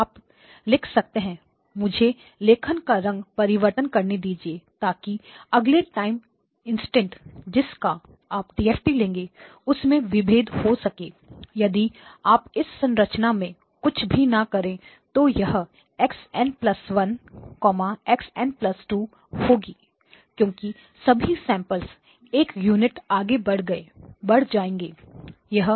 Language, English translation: Hindi, You can write down, let me use a different color so at the next time instant the vector for which you will be taking the DFT if you do not do anything in this structure will be x of n plus 1; x of n plus 2 because all of the samples would have moved by 1 unit